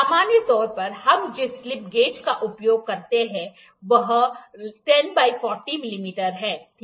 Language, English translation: Hindi, In general this slip gauge actually uses 10 into 40 mm, ok